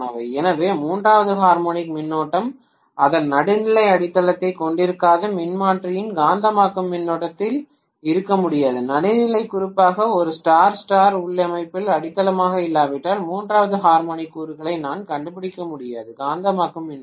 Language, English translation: Tamil, So the third harmonic current cannot exist in a magnetizing current of the transformer which does not have its neutral grounded, if the neutral is not grounded especially in a Star Star configuration, I am not going to be able to find the third harmonic component in the magnetizing current